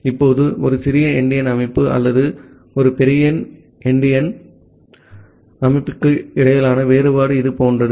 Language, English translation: Tamil, Now, the difference between a little endian system or a big endian system is something like this